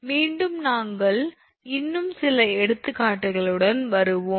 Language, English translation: Tamil, So, with that thank you very much, again we will come with few more examples